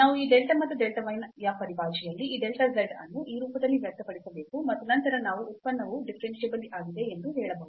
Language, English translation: Kannada, Or we can test directly this definition, so we have to express this delta z in terms of this delta and delta y, in this form and then we can claim that the function is differentiable